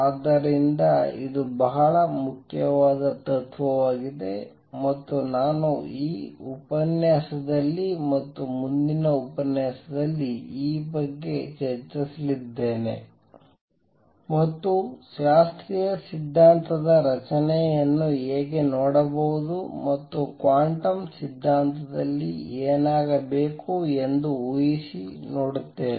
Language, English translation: Kannada, So, it is a very important principle and I am going to spend this lecture and the next lecture discussing this and also see how one could look at the structure of classical theory and from that guess what should happen in quantum theory